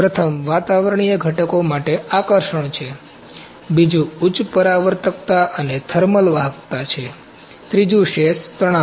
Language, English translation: Gujarati, Number 1 is attraction for the atmospheric constituents, number 2 is high reflectivity and thermal conductivity, number 3 is residual stresses